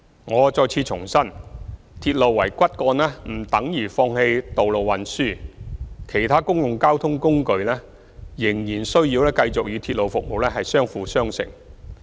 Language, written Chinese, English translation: Cantonese, 我再次重申，鐵路為骨幹不等於放棄道路運輸，其他公共交通工具仍然需要繼續與鐵路服務相輔相成。, I would like to once again reiterate that using railway as the backbone does not mean giving up road transport . It is still necessary for other means of public transport to continue to complement railway service